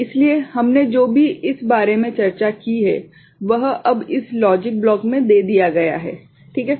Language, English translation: Hindi, So, whatever we have discussed this same thing is now put into this logic block, right